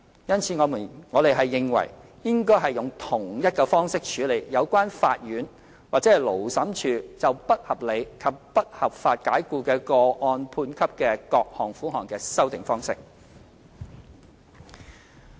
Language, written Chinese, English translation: Cantonese, 因此，我們認為應該用同一方式處理有關法院或勞審處就不合理及不合法解僱的個案判給的各項款項的修訂方式。, We think that we should adopt the same process to amend the amounts of various compensations awarded by the court or Labour Tribunal for unreasonable and unlawful dismissal